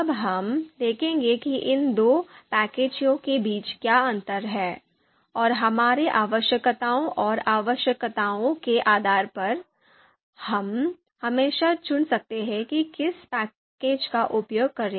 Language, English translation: Hindi, So we will see what are the differences between these two packages, and depending on our requirements and needs, we would be using we can always select which package to use